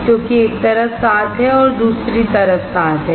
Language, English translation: Hindi, Because there are 7 on one side, there are 7 on other side